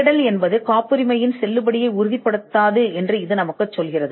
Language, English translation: Tamil, This tells us that the search does not warrant the validity of a patent